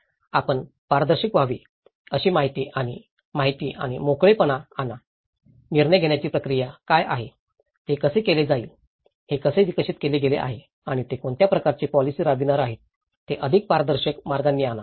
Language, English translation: Marathi, Bring the information and information and openness you have to be transparent, bring what the decision making process, how it is done, how this has been developed and what kind of strategy they are going to implement so, bring it more transparent ways